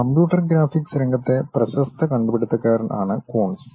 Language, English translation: Malayalam, So, Coons is a famous pioneer in the field of computer graphics